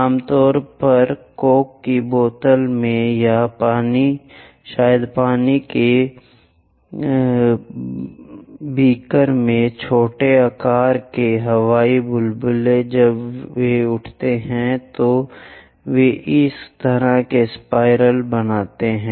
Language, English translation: Hindi, Typically, small size air bubbles in coke bottles or perhaps in water beakers when they are rising they make this kind of spirals